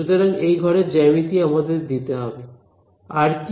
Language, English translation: Bengali, So, the geometry of the room should be given to us right, what else